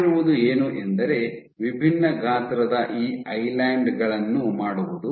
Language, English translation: Kannada, So, what was done was to make these islands of different sizes